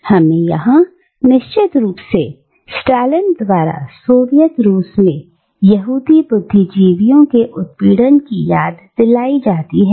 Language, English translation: Hindi, And we are reminded here, of course, of the persecution of Jewish intellectuals in Soviet Russia by Stalin